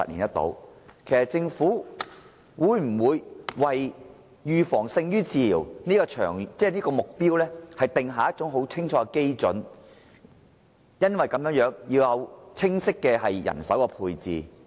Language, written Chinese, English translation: Cantonese, 就此，我想問的是，政府會否為"預防勝於治療"這個目標訂下清楚基準，以及為達到目標而訂明清晰的人手配置？, In this connection may I ask whether the Government will develop clear benchmarks and a clear manpower plan for achieving the goal of prevention is better than cure?